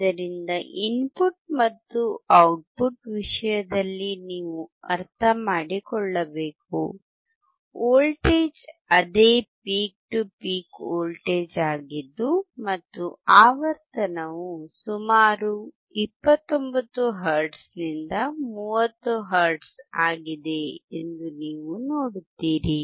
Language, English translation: Kannada, So, you have to understand in terms of input and output, you see that the voltage is same peak to peak voltage and the frequency is also about 29 hertz to 30 hertz